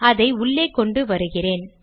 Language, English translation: Tamil, Let me bring it inside